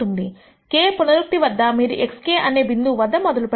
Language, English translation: Telugu, At iteration k you start at a point x k